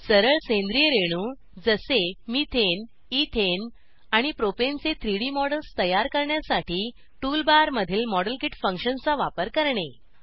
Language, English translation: Marathi, * Use the Modelkit function in the Tool bar to create 3D models of simple organic molecules like Methane, Ethane and Propane